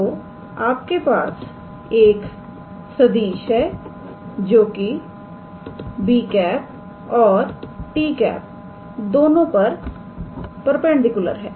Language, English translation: Hindi, So, you have a vector which is perpendicular to both b and t